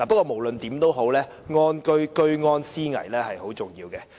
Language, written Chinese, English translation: Cantonese, 無論如何，居安思危是很重要的。, In any event having a sense of crisis is very important